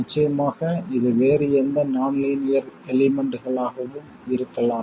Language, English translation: Tamil, And of course this could be any other nonlinear element as well